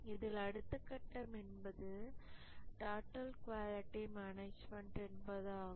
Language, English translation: Tamil, So this is the total quality management principle